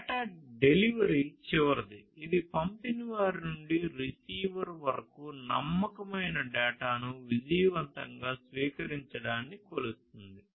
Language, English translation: Telugu, So, data delivery is the last one it measures it is about the measurement of successful reception of reliable data from the sender to the receiver